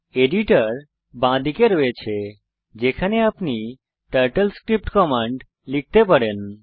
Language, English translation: Bengali, Editor is on the left, where you can type the TurtleScript commands